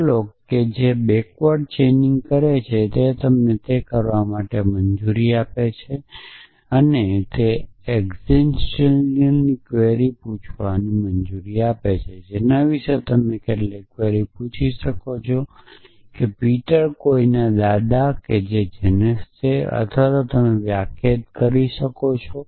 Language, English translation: Gujarati, So, what prolog does forward backward chaining is allows you to do is to allows it to ask existential queries you can ask some query about is Peter the grandfather of somebody or who is Janes grandfather or you could defined